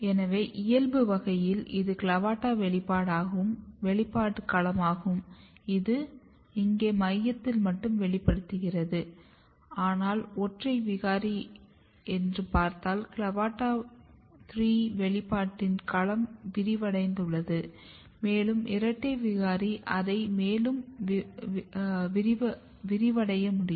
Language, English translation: Tamil, So, in wild type this is the CLAVATA expression domain and this is in the very tip restricted here in the center, but if you look the single mutant the domain of CLAVATA3 expression is expanded, and double mutant it can be even further expanded